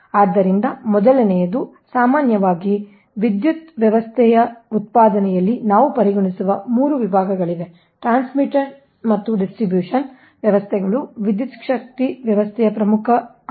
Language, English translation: Kannada, first thing is generally there are three section we consider in power system: generation, transmission and distributions system are the main components of an electric power system